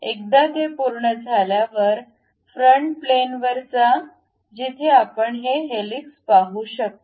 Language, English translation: Marathi, Once it is done go to front plane where we can see this helix thing